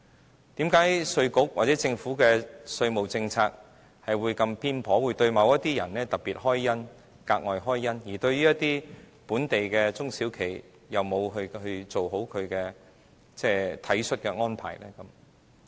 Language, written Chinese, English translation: Cantonese, 為甚麼稅務局或政府的稅務政策會這麼偏頗，會對某些人特別開恩、格外開恩，而對於本地一些中小企卻沒有做好體恤的安排呢？, Why is IRD or the Governments tax policy so unfair? . While they grant special favours to some people local SMEs have not received any compassionate treatment